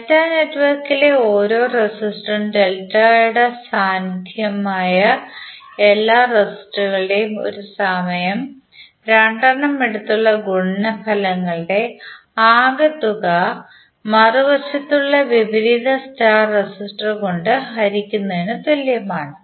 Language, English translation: Malayalam, Each resistor in delta network is the sum of all possible products of delta resistors taken 2 at a time and divided by opposite star resistor